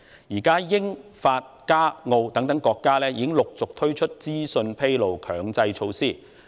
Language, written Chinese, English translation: Cantonese, 現時，英國、法國、加拿大和澳洲等國家已陸續推出資訊披露強制措施。, At present countries such as the United Kingdom France Canada and Australia have successively implemented mandatory disclosures of information